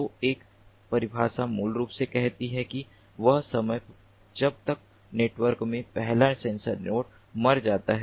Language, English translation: Hindi, so one definition basically says that the time until which the first sensor node in the network dies